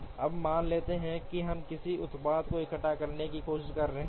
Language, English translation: Hindi, Now let us assume that we are trying to assemble a product